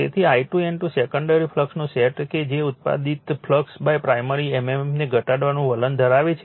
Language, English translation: Gujarati, So, your I 2 N 2 sets of a secondary flux that tends to reduce the flux produced by the primary mmf